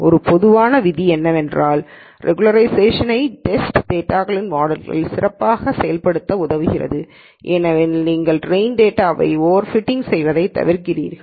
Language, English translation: Tamil, And one general rule is regularization helps the model work better with test data because you avoid over fitting on the train data